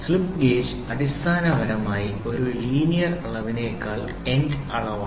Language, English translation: Malayalam, Slip gauge is basically if you see it is an end measurement that than a linear measurement